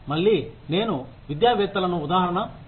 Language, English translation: Telugu, Again, I will take the example of academicians